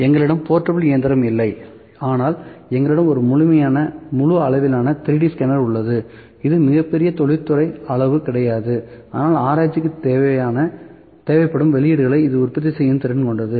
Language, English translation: Tamil, So, we do not have a portable machine, we have a full fledged 3D scanner not a very big industrial size, but for research it is quite capable of producing the outputs that has required